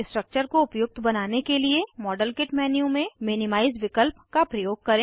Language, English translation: Hindi, Use minimize option in the modelkit menu to optimize the structure